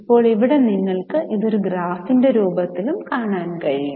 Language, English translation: Malayalam, Now here you can also see it in the form of a graph and with this will stop